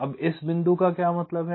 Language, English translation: Hindi, so what does this point mean